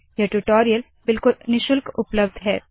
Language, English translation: Hindi, These tutorials are available absolutely free of cost